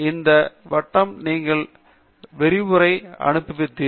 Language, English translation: Tamil, Hopefully you enjoyed the lecture